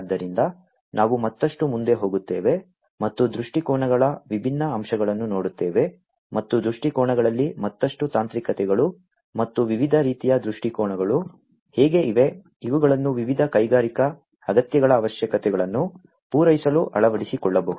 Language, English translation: Kannada, So, we go further ahead and look at the different aspects of viewpoints the further technicalities into the viewpoints and how there are different types of viewpoints, which could be adopted for catering to the requirements of different industrial needs